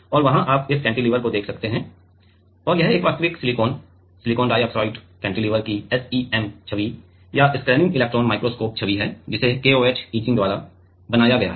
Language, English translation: Hindi, And there, you see this cantilever and this is the SEM image or scanning electron microscope image of a real silicon silicon dioxide cantilever which was made by KOH etching